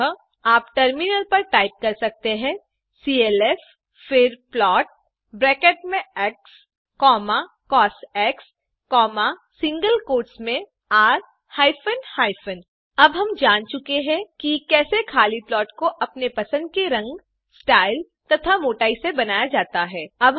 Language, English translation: Hindi, So in terminal you can type clf() then plot within brackets x, cos, within single quotes r hyphen hyphen Now that we know how to produce a bare minimum plot with color, style and thickness of our interest, we shall look at further decorating the plot